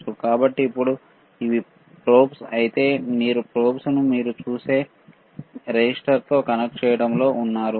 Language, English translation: Telugu, So now, if for this these are the probes, he is in connecting this probe to a resistor you see resistor, right